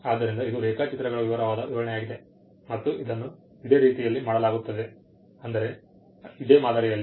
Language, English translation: Kannada, So, this is the detailed description of the drawings and it is done in a similar manner, similar fashion